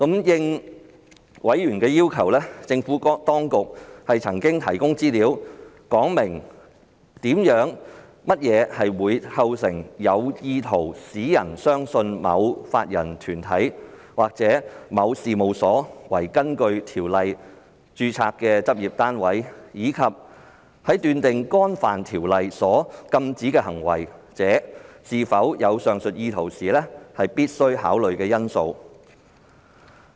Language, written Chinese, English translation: Cantonese, 應委員要求，政府當局曾提供資料，說明甚麼會構成有意圖使人相信某法人團體或某事務所為根據《條例》註冊的執業單位，以及在斷定干犯《條例》所禁止的行為者是否有上述意圖時必須考慮的因素。, At members request the Administration has provided information to advise on what would constitute an intention of causing a person to believe that a body corporate or a firm was a practice unit registered under the Ordinance and the essential factors for determining whether a prohibited act under the Ordinance is committed with the relevant intention